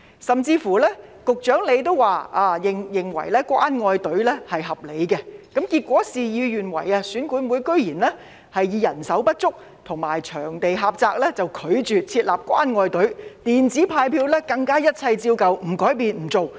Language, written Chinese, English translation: Cantonese, 甚至局長也表示，他認為設立"關愛隊"是合理的，但結果事與願違，選管會居然以人手不足及場地狹窄為理由，拒絕設立"關愛隊"，更拒絕使用"電子派票"，一切照舊，不改變、不做。, EAC to our surprise refused to set up caring queues on the grounds of manpower shortage and venue constraints . It also refused distribution of ballot paper by electronic means . The old practice would be left intact